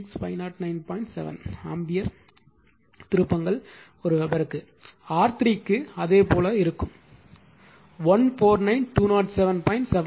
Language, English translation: Tamil, 7 ampere turns per Weber similarly for R 3, you will get you will get 149207